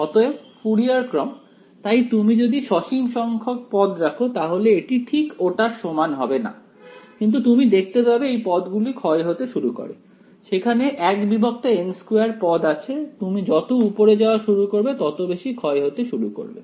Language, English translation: Bengali, So, Fourier series, so if you keep finite number of terms it is not actually equal to that, but you can see these terms they begin to decay there is a 1 by n squared as you go to higher and higher and they begin to decay